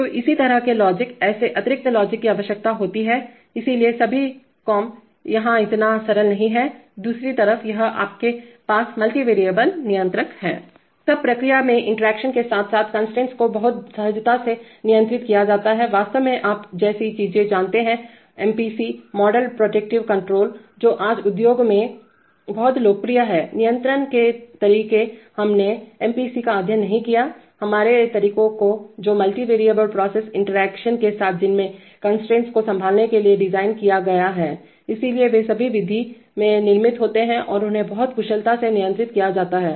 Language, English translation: Hindi, So such logic, such additional logic is required, so all the comp, it is not that simple, on the other hand if you have multivariable controllers, then in process interactions as well as constraints are handled very seamlessly, actually things like you know MPC, model predictive control which are very popular in the industry today, are, control methods we did not study MPC, our methods which are designed to handle multivariable processes with interactions and having constraints, so they are all built in into the method and they are handled very efficiently